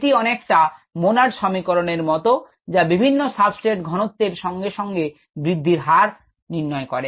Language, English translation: Bengali, in form it is very similar to the monod equation which describes the variation of a growth rate with substrate concentration